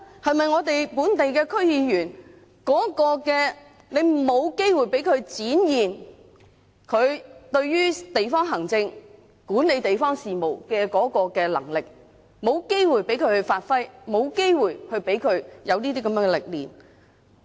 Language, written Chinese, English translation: Cantonese, 是不是本地區議員沒有機會展現和發揮他們對於管理地方事務的能力，也沒有機會讓他們學習和磨練？, Are there no opportunities for local DC members to demonstrate and apply their abilities in the management of local affairs? . Are there also no opportunities for them to learn and hone their skills?